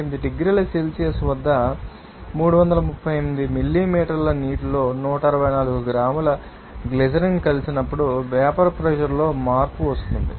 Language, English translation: Telugu, Now, what is the change in vapor pressure when 164 gram of glycerin is added to you know 338 milliliter of water at 39